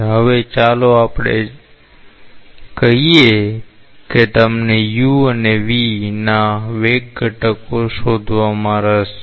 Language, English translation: Gujarati, Now, let us say that you are interested to find out the velocity components u and v